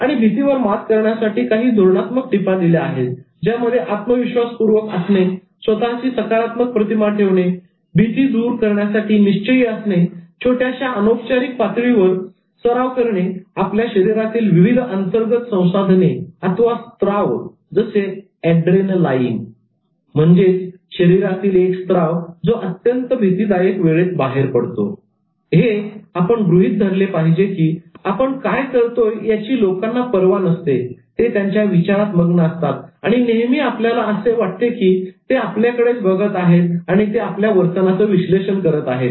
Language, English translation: Marathi, And some strategic tips which were given about overcoming fear include the following, remaining confident, having a positive self image, being determined to do something about the fear practicing at a small informal level pumping out the inner resources like adrenaline knowing that people don't really care about what you do they are buried in their own thoughts and all the time you think that they are just looking at you and then they are analyzing your behavior knowing the subject subject thoroughly and believing in it